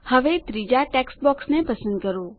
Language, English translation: Gujarati, Now, select the third text box